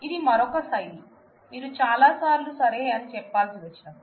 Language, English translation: Telugu, This is another style, that many a times when you have to say that ok